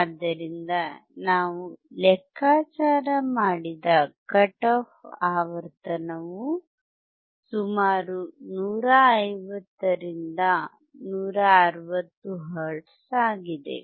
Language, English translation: Kannada, So, the cut off frequency, that we have calculated is about 150 to 160 hertz